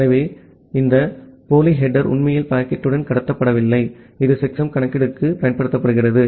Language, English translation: Tamil, So, this pseudo header is actually not transmitted with the packet, it is just used for the computation of checksum